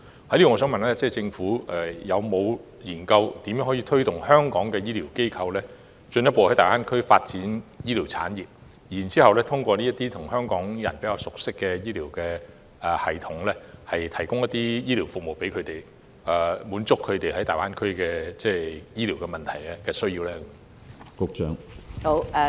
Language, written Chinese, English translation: Cantonese, 就此，我想問政府有否研究如何協助香港的醫療機構進一步在大灣區發展醫療產業，然後通過這些香港人比較熟悉的醫療系統，向港人提供醫療服務，以回應他們在大灣區面對的醫療問題及需要？, In this connection may I ask the Government whether it has looked into the means to assist Hong Kong medical institutions to in further developing health care in the Greater Bay Area so that these medical systems that are more familiar to Hong Kong people can provide medical services to them and thus address their medical problems and needs in the Greater Bay Area?